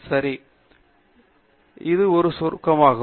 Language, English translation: Tamil, Ok So, this is a summary